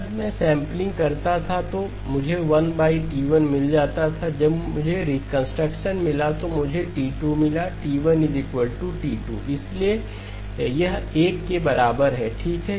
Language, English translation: Hindi, I would have gotten a 1 over T1 when I did the sampling, I got a T2 when I got the reconstruction, T1 equal to T2, so therefore this is equal to 1 okay